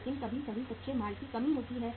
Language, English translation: Hindi, But sometime there is a shortage of the raw material